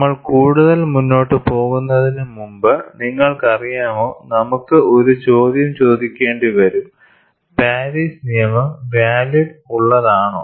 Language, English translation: Malayalam, And before we proceed further, you know we will have to ask a question, is Paris law valid